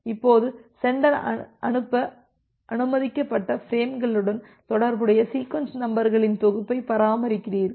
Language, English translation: Tamil, Now, the sender it maintains a set of sequence numbers corresponding to the frames it is permitted to send